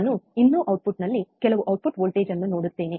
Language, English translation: Kannada, I will still see some output voltage in the output output we can measureoutput